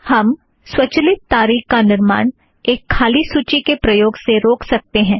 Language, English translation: Hindi, We can prevent the automatic appearance of the date with an empty list, as we do now